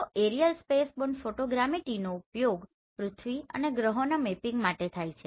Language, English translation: Gujarati, So this aerial spaceborne photogrammetry this is used for the mapping of earth and planets